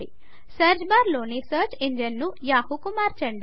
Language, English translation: Telugu, Change the search engine in the search bar to Yahoo